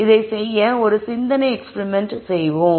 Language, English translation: Tamil, So to do this let us do a thought experiment